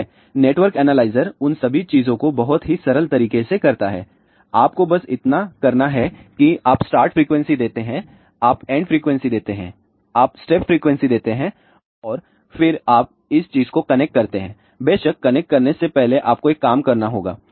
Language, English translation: Hindi, Well, network analyzer does all of those things in a very simple manner all you need to do it is you give the start frequency you give the end frequency you give the step frequency and then you connect this particular thing of course, before connecting you have to do one thing